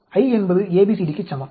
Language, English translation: Tamil, I is equal to ABCD